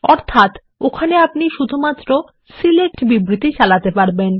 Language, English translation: Bengali, Meaning, we can issue only SELECT statements there